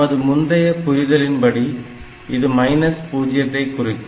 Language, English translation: Tamil, As per our terminology, this should represent minus 0